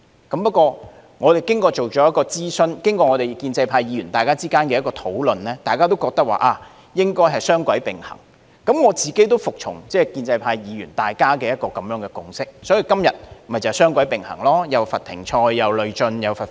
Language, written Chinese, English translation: Cantonese, 不過，我們經過諮詢，加上建制派議員之間的討論，大家均認為應該雙軌並行，我亦服從建制派議員之間的共識，所以今天雙軌並行，既罰停賽、累進和罰款。, But after consultation and discussions among pro - establishment Members we invariably think that a dual - pronged approach should be adopted and I have also submitted myself to the consensus of pro - establishment Members . This is why we propose to adopt a dual - pronged approach today that consists of a suspension mechanism on a cumulative basis and the imposition of fines